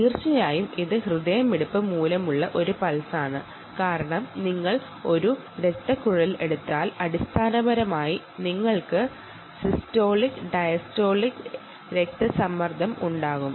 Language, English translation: Malayalam, how do you say the reason is, if you take a blood vessel, ok, and you have basically the systolic and the diastolic blood pressure